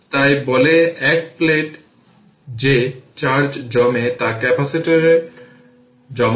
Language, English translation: Bengali, So, we can say that that the charge accumulates on one plate is stored in the capacitor